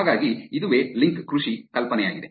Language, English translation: Kannada, So, that is the idea for link farming